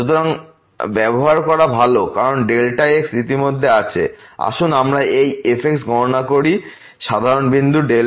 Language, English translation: Bengali, So, better to use because delta is already there let us compute this at general point 0